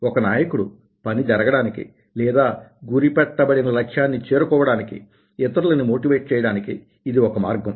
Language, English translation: Telugu, this is the way a leader can motivate others to get the work done or to achieve the targeted goal